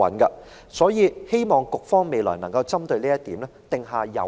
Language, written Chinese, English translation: Cantonese, 我希望局方未來能夠就此制訂有效的行政措施。, I hope that the Administration will in future devise effective administrative measures in this regard